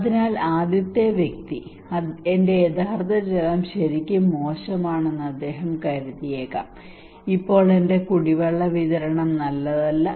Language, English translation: Malayalam, So the first person, he may consider that, my real water is really bad the present my drinking water supply is not good